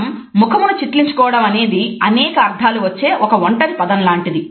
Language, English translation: Telugu, A frown on our face is like a single word, which can have different meanings